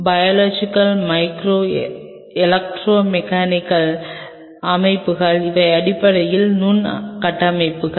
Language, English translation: Tamil, Biological micro electromechanical systems these are essentially microstructures